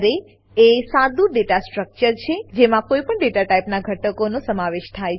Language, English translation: Gujarati, Array is a simple data structure which contains elements of any data type